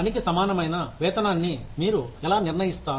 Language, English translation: Telugu, How do you determine, equitable pay for work